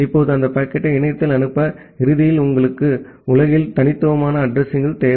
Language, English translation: Tamil, Now to send that packet over the internet, ultimately you require an addresses which is unique in the globe